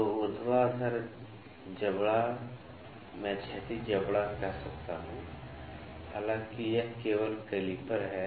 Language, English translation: Hindi, So, the vertical jaw I can say the horizontal jaw; however, this is calliper only